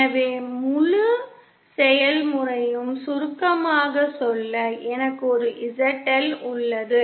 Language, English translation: Tamil, So just to summarize the whole process, I have a ZL